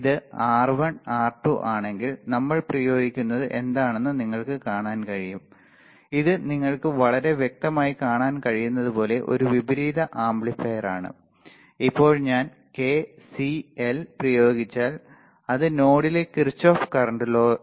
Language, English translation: Malayalam, So, what we see if we apply if this is R1 R2 this is a inverting amplifier as you can see very clearly right, now if I apply K C L that is Kirchhoff Current Law at node a here ok